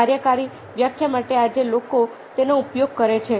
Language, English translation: Gujarati, so, for a working definition, people today use that